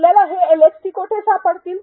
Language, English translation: Marathi, Where will you find these LxTs